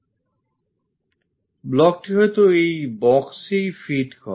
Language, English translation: Bengali, The block perhaps fit in this box